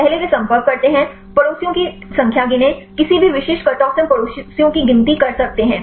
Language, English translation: Hindi, First they contact; count the number of neighbours, any specific cut off we can count the neighbours